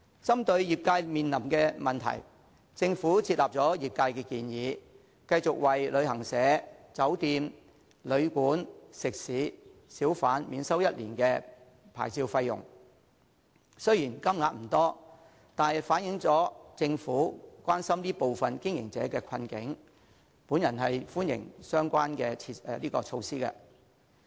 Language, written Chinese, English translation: Cantonese, 針對業界面臨的問題，政府接納了業界的建議，繼續為旅行社、酒店、旅館、食肆及小販免收1年的牌照費用，雖然金額不多，但反映政府關心這部分經營者的困境，我歡迎相關的措施。, In response to the hardship faced by the relevant trades the Government has accepted their suggestion to waive licence fees for travel agents hotels guesthouses restaurants and hawkers for one year . Although the money involved is not great it shows that the Government cares about the hardship of these businesses and I therefore welcome the relevant measure